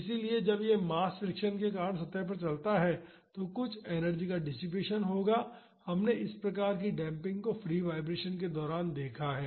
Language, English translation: Hindi, So, when this mass moves over the surface because of the friction there will be some energy dissipation, we have seen this type of damping during the free vibration case